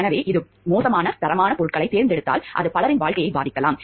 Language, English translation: Tamil, So, because whatever if this select a poor quality of goods, then it may affect the lives of so many people